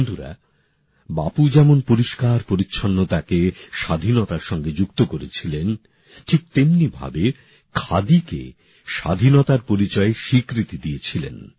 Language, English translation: Bengali, Bapu had connected cleanliness with independence; the same way he had made khadi the identity of freedom